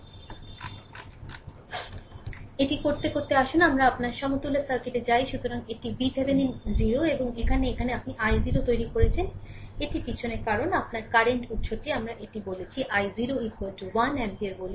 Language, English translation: Bengali, So, to do this so, let us go to that your equivalent circuit; so, it is V Thevenin is 0 and now here you have made i 0, that back because your one current source we have put it say i 0 is equal to 1 ampere say right